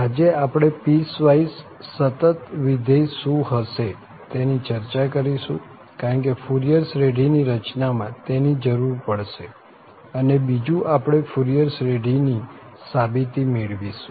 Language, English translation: Gujarati, So, today we will discuss what are the piecewise continuous functions because that is required for constructing the Fourier series and second we will go for the derivation of the Fourier series